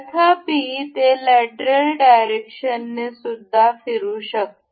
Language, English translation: Marathi, However, it can move in lateral direction